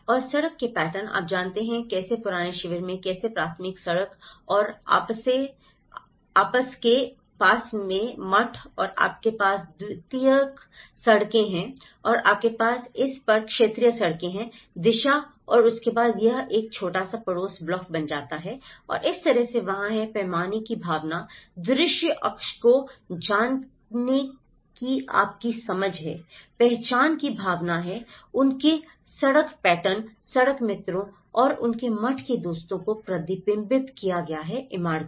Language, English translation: Hindi, And the street patterns, you know, how in the old camp, how the primary road and you have the monastery and you have the secondary roads and you have the territory roads on to this direction and then within that it becomes a small neighborhood block and that is how there is a sense of scale, there is a sense of you know visual axis, there is a sense of identity which has been reflected in their street patterns, the friends the street friends and their monastral buildings